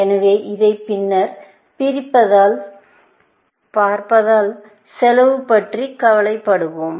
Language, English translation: Tamil, So, we will worry about cost as we see this later